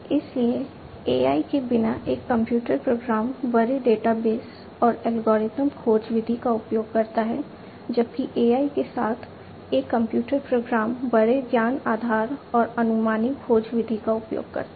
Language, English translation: Hindi, So, a computer program without AI uses large databases and uses algorithmic search method whereas, a computer program with AI uses large knowledge base and heuristic search method